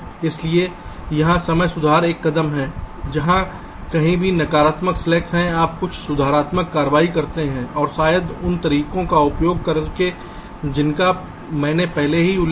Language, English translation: Hindi, so here timing correction is one step where, wherever there is a negative slack, you make some corrective actions and maybe using the methods i have already mentioned, just sometime back and again you use static timing analysis